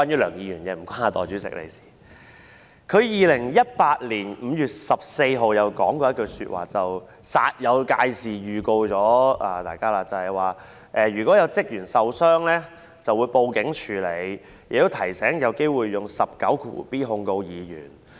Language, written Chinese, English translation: Cantonese, 梁議員在2018年5月14日曾經煞有介事地向大家作出預告，說如果有職員受傷，就會報案處理，亦提醒議員有機會引用第 19b 條控告議員。, On 14 May 2018 Mr LEUNG gave Members advance notice in a solemn manner telling them that in the event of any staff member suffering any injury a report would be made to the police and Members were reminded of the likelihood that section 19b would be invoked to lay charges against them